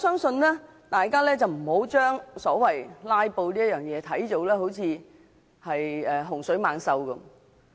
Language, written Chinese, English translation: Cantonese, 所以，大家不應該把"拉布"看成甚麼洪水猛獸。, For this reason Members should not regard filibustering as a kind of scourge